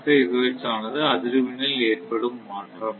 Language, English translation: Tamil, 5 hertz that mean; if we actually frequency are your 50 hertz